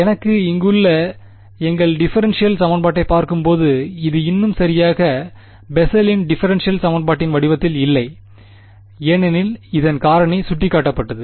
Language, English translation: Tamil, So, looking at our differential equation over here, this is not yet exactly in the form of the Bessel’s differential equation because as was pointed out the factor of